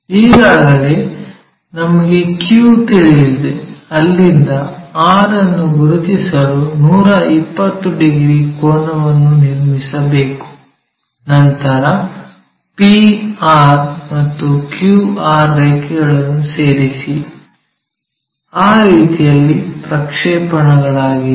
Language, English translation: Kannada, Already we know q from their 120 degrees angle we already knew, here construct to locate r, then join p and r p q r lines are projected in that way